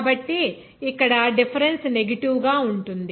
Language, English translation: Telugu, So, here the difference will be negative